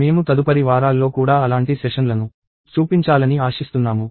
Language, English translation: Telugu, We are hoping to also actually show such sessions for the subsequent weeks